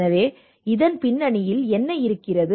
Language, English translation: Tamil, So what is the reason behind it